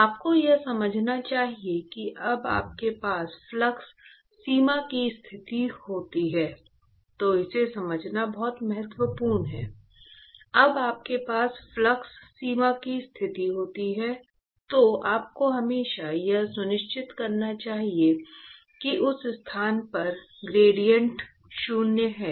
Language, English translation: Hindi, You should understand that when you have a flux boundary condition, it is very important to understand this; when you have a flux boundary condition you should always make sure that the gradient at that location is zero, very good